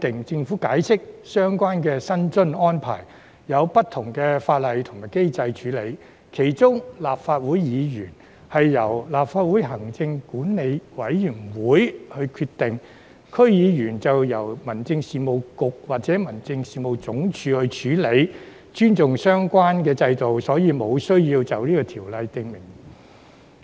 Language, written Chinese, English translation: Cantonese, 政府解釋，相關薪津安排有不同法例和機制處理，其中立法會議員薪津是由立法會行政管理委員會決定，區議員薪津則由民政事務局或民政事務總署處理，為尊重相關制度，所以無須在《條例草案》中訂明。, The Government explains that the relevant remuneration arrangements are made in accordance with various laws and mechanisms . In particular remuneration arrangements of Members of the Legislative Council are decided by the Legislative Council Commission LCC; while those of DC members are handled by the Home Affairs Bureau HAB or the Home Affairs Department . Thus it is considered unnecessary to include express provisions in the Bill to respect the systems